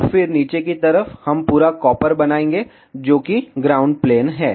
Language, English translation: Hindi, And then on the bottom side, we will make full copper that is ground plane